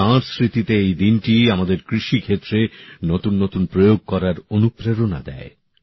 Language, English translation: Bengali, In his memory, this day also teaches us about those who attempt new experiments in agriculture